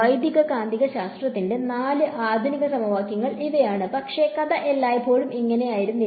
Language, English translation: Malayalam, These are the four modern equations of electromagnetics, but the story was not always this way